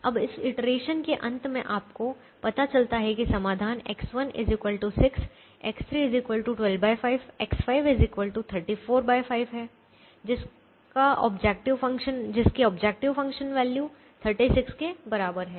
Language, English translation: Hindi, now, at the end of this iteration, you realize that the solution is x one equal to six, x three equal to twelve by five, x five equal to thirty four by five, with the objective function value equal to thirty six